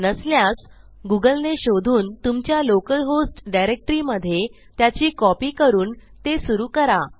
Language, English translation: Marathi, If it isnt installed yet, I would suggest you google it and install a copy on the local host directory and start using it